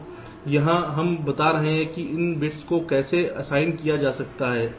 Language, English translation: Hindi, so here we are saying how this bits are assigned